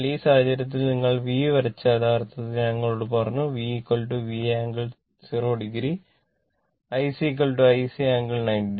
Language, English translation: Malayalam, Actually, I told you V is equal to V angle then 0 degree and I C is equal to your I C angle 90 degree